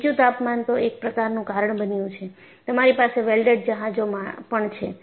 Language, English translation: Gujarati, Low temperature is one cause and you also have welded ships